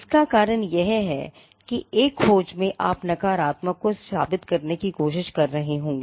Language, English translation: Hindi, The reasons being, in a search you would be trying to prove the negative